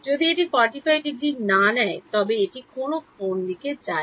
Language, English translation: Bengali, If I do not take this to be 45 degrees take this to be any angle